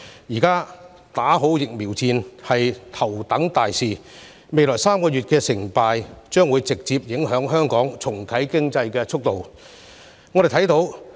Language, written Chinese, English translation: Cantonese, 目前，"打好疫苗戰"是頭等大事，而未來3個月的成敗，將會直接影響香港重啟經濟的速度。, At present fighting the vaccine war is of the top priority and whether we win or lose in the next three months will directly affect the speed at which Hong Kong can restart the economy